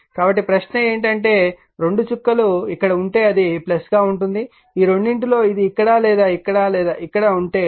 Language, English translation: Telugu, So, question is that if both dots are here, it will be plus if either of this either it is here or here or it is here